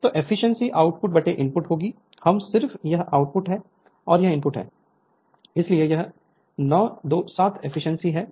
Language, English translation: Hindi, So, efficiency will be output by input we just this is output and this is your input, so it is 0927 efficiency right